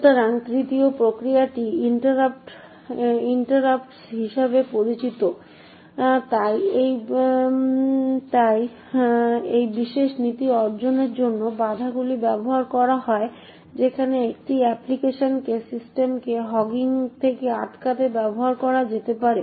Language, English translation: Bengali, So, the third mechanism is known as interrupts, so interrupts are used to achieve this particular policy where it can use be used to prevent one application from hogging the system